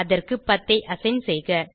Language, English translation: Tamil, Assign 10 to it